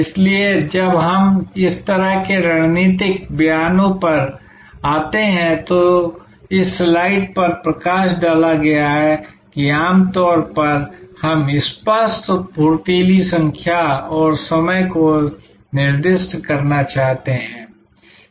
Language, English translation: Hindi, So, when we come to this kind of strategic statements, what did this slide highlights is that usually we would like to have clear crisp numbers and time dimensioned specified